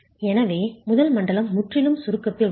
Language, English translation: Tamil, So, the first zone is purely in compression